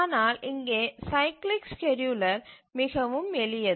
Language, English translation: Tamil, But here the cyclic scheduler is very simple